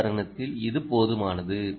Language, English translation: Tamil, we have enough for the moment